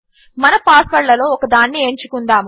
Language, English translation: Telugu, Lets choose one of our passwords